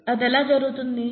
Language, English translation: Telugu, How does that happen